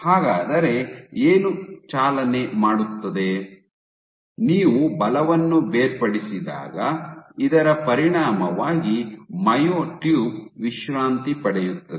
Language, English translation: Kannada, So, what will drive is this so, when you detach the force balance is perturbed as the consequence of with this myotube will relax